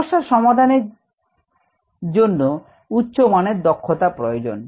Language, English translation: Bengali, problem solving is a higher level skill